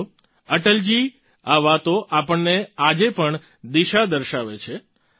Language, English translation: Gujarati, these words of Atal ji show us the way even today